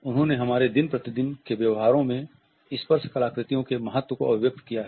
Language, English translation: Hindi, She has summed up the significance of the tactual artifacts in our day to day behaviors